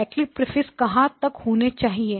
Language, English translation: Hindi, How long should the Cyclic Prefix be